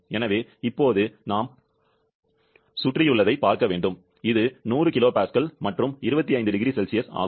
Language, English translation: Tamil, So, now we have to look at the surrounding which is 100 kilo Pascal and 25 degree Celsius